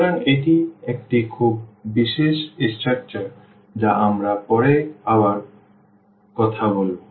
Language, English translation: Bengali, So, this a very very special structure we will be talking about more later